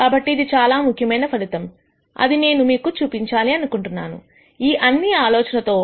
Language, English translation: Telugu, So, this is the important result that I wanted to show you, with all of these ideas